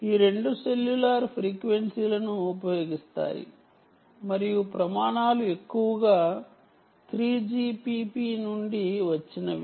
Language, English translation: Telugu, both of them use the cellular frequencies itself and the standards are mostly from three g p p